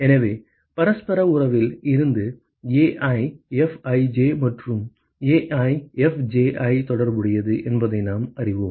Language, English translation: Tamil, So, from reciprocity relationship we know that AiFij and AjFji are related right